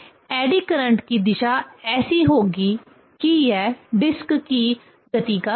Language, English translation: Hindi, So, the direction of the eddy current will be such that it will oppose the motion of the disc